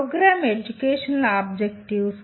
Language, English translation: Telugu, Program Educational Objectives